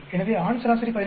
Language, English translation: Tamil, This is the male average 17